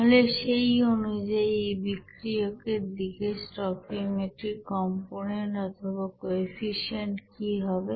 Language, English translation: Bengali, So accordingly what is the stoichiometric component or coefficient for this reactant side here